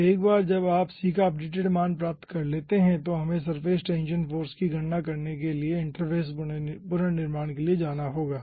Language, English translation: Hindi, so once you get the updated values of c, then we have to go for interface reconstruction to calculate the surface tension force